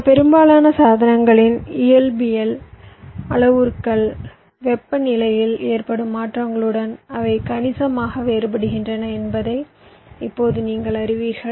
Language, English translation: Tamil, now you know that the physical parameters of this most devices they very quit significantly with changes in temperature